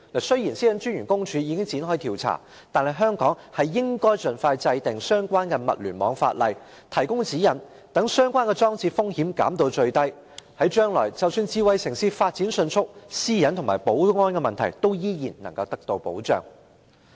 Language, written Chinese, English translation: Cantonese, 雖然私隱專員公署已經展開調查，但是，香港應盡快制定相關的物聯網法例，提供指引，把相關裝置的風險減至最低，務求將來即使智慧城市發展迅速，私隱和保安等問題依然能夠得到保障。, Although the Office of the Privacy Commissioner for Personal Data has already commenced an investigation Hong Kong should expeditiously enact relevant legislation for the Internet of Things to provide guidelines and minimize the risk of the relevant devices so that despite rapid smart city development such matters as personal privacy and security can still enjoy protection in the future